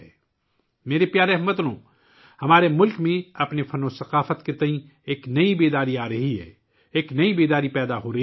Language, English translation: Urdu, My dear countrymen, a new awareness is dawning in our country about our art and culture, a new consciousness is awakening